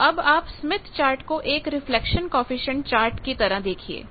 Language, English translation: Hindi, So, think now Smith Chart as a reflection coefficient chart